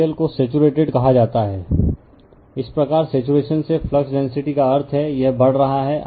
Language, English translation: Hindi, The material is said to be saturated, thus by the saturations flux density that means, this you are increasing